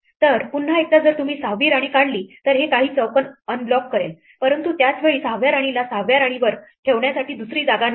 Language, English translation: Marathi, So, once again if you remove the 6th queen then this unblocks a few squares, but at the same time there was no other place to place the 6th queen on the 6th row